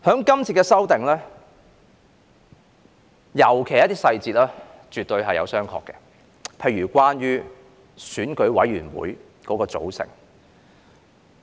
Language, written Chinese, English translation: Cantonese, 這次修訂，尤其是一些細節，絕對是要商榷的，例如關於選委會的組成。, This amendment exercise especially certain details is definitely open to question such as the composition of EC